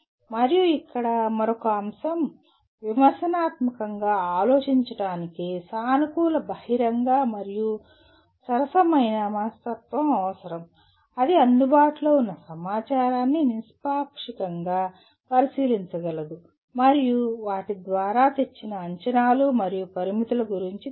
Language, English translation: Telugu, And here another aspect, thinking critically requires a positive open and fair mindset that is able to objectively examine the available information and is aware of the laid assumptions and limitations brought about by them